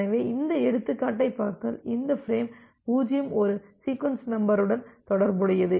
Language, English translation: Tamil, So, if you look into this example, this frame 0 is associated with a sequence number